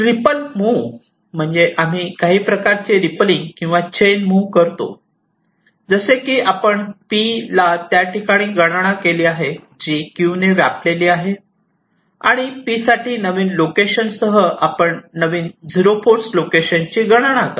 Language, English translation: Marathi, ripple move means we do some kind of a rippling or chain reaction like: you place the cell p in the location that has been computed which is occupied by q, and for q, with the new location of p, you compute the new zero force location for q